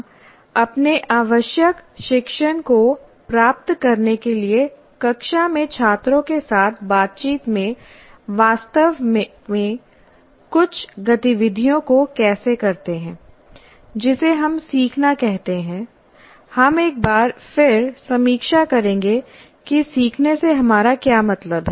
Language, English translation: Hindi, Now what we will do is how do we actually do certain activities in interacting with the students in a classroom to achieve the required learning, whatever we call learning, we will again once again review what we mean by learning